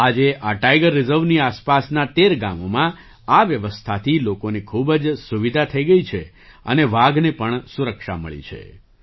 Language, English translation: Gujarati, Today, this system has provided a lot of convenience to the people in the 13 villages around this Tiger Reserve and the tigers have also got protection